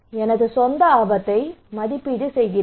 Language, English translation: Tamil, I am evaluating my own risk